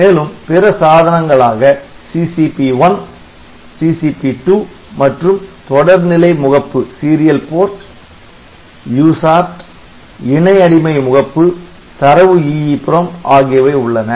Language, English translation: Tamil, Then we have got this other devices CCP1, 2 then this Serial Port User, Parallel Slave Port, Data EEPROM